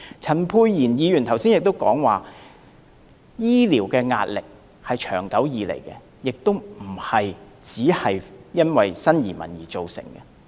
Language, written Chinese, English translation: Cantonese, 陳沛然議員剛才亦提到，醫療壓力是長久以來的，不單因為新移民而造成。, Just now Dr Pierre CHAN argued that the pressure on our health care was long - standing and it was not solely caused by new arrivals